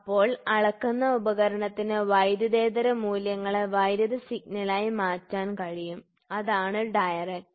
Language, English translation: Malayalam, So, a measuring device the transform non electrical value into electrical signal is direct